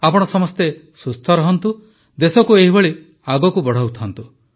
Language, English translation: Odia, May all of you stay healthy, keep the country moving forward in this manner